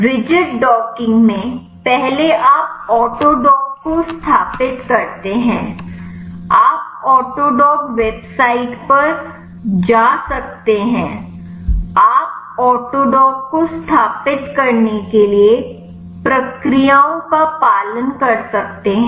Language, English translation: Hindi, In the rigid docking first you install autodock you can go to the autodock website and you can follow the procedures to install autodock